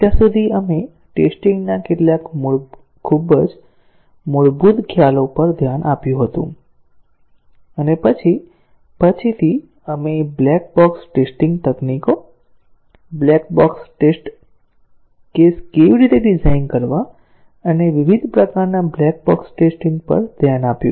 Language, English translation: Gujarati, So far, we had looked at some very basic concepts of testing and then, later we looked at black box testing techniques, how to design black box test cases and different types of black box testing